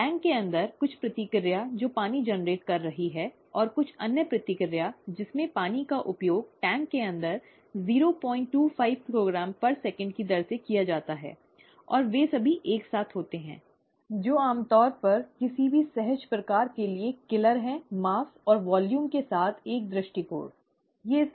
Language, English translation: Hindi, Some reaction inside the water, inside the tank that is generating water, and some other reaction in which water is used up inside the tank at a rate of point two five kilogram per second, and all of them simultaneously occur, okay, which is usually the killer for any intuitive kind of an approach with mass and volume, okay